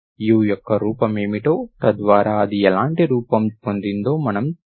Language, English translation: Telugu, You have seen what is the form of u, what kind of form u have got, okay